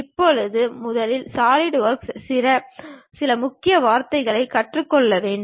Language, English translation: Tamil, Now, first of all we have to learn few key words in solidworks